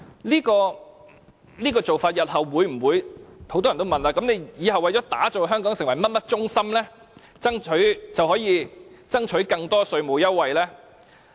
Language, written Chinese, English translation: Cantonese, 很多人會問，為了打造香港成為甚麼中心，以後是否就可以爭取更多稅務優惠。, Many may ask if more tax concession can as well be provided in the future out of the need to develop Hong Kong into a hub of other businesses